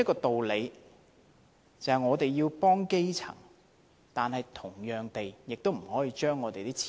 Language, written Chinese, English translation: Cantonese, 主席，我們要幫助基層，但亦不能亂花金錢。, President we have to help the grass roots but we cannot spend money recklessly